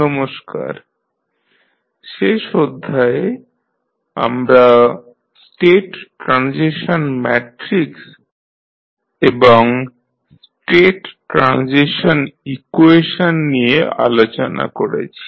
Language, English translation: Bengali, Namaskar, so in last class we discussed about the state transition matrix and the state transition equations